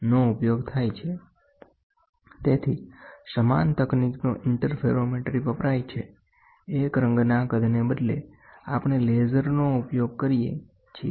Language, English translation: Gujarati, So, the same technique interferometry is used, instead of a monochromatic size, we use a laser